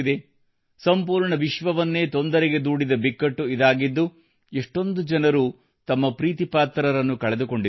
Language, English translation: Kannada, This is a crisis that has plagued the whole world, so many people have lost their loved ones